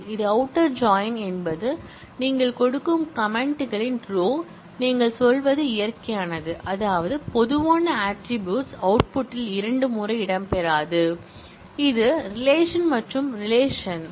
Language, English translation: Tamil, Left outer join is a sequence of commands that you give, you are also saying it is natural, which means that the common attribute will not feature twice in the output and this is the left relation and this is the right relation